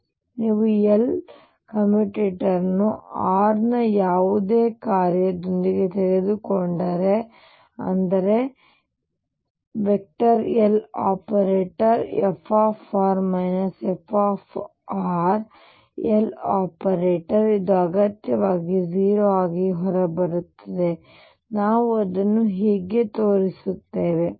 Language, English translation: Kannada, So, if you take the commutator of L with any function of r which means L operating on f minus f r L this will necessarily come out to be 0 how do we show that